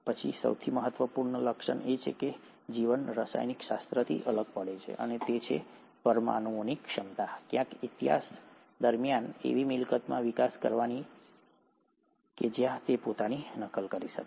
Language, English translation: Gujarati, Then came the most important feature which kind of sets apart life from chemistry, and that is the ability of these molecules, somewhere during the course of history, to develop into a property where it can replicate itself